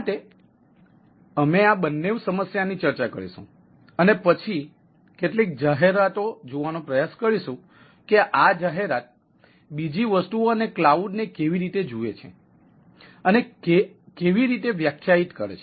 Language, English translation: Gujarati, so we will discuss this two problem and then try to look at some of the aspects of how somehow this commercials cloud another things and clouds look at the, how they define so like a